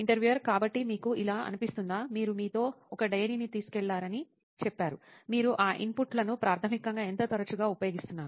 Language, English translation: Telugu, So do you feel like…You said you carry a diary with you, do you, how often do you use that inputs basically